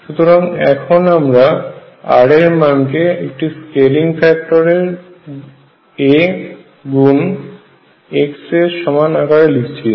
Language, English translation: Bengali, So, the way I rescale is I am going to write r is equal to some scaling factor a times x